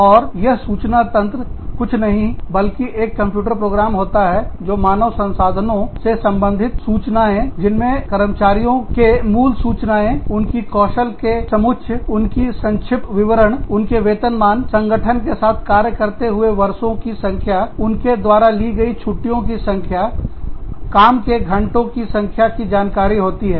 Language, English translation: Hindi, And, these information systems are nothing but, computer programs, that help manage human resources related data, that includes the basic information about employees, their skill sets, their resumes, their pay scales, the number of years, they work with the organization, the number of times, they have taken leaves, sometimes, the number of hours, they have been working